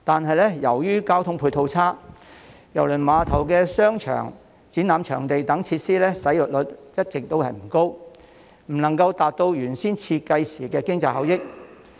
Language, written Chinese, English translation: Cantonese, 可是，由於交通配套差，郵輪碼頭的商場、展覽場地等設施使用率一直不高，未能達到原先設計時預期的經濟效益。, That said due to poor ancillary transport facilities the shopping mall exhibition venue and other facilities in the cruise terminal have all along been under - utilized and the economic benefits originally envisaged have not been achieved